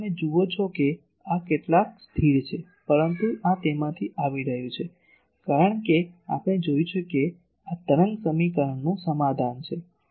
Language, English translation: Gujarati, So, you see this is some constant, but this is coming from as we have seen that this is solution of wave equation